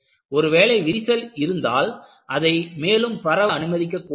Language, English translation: Tamil, When there is a crack, you do not allow it to propagate easily